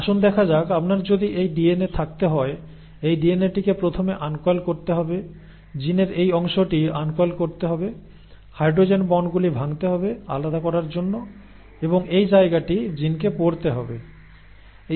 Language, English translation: Bengali, So let us see, if you were to have this DNA, okay, this DNA has to first uncoil, this segment of the gene has to uncoil, the hydrogen bonds have to be broken to set apart and this is where the gene has to read